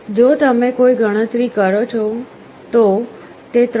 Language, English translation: Gujarati, If you make a calculation this comes to 3